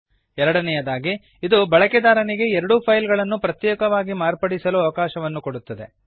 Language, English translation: Kannada, Second, it enables the user to modify both the files separately